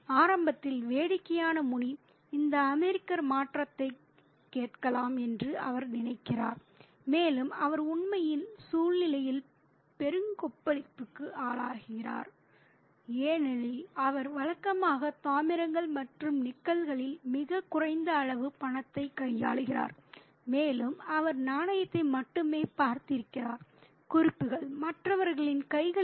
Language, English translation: Tamil, And he thinks that initially, funnily, Muni thinks that maybe this American is asking for change and he is really struck by the hilarity of the situation because he usually deals in coppers and nickels, very small amount of money and he has only seen currency notes in the hands of others